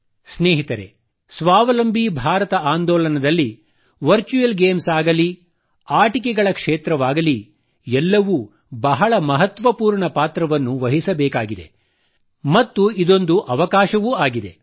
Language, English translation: Kannada, Friends, be it virtual games, be it the sector of toys in the selfreliant India campaign, all have to play very important role, and therein lies an opportunity too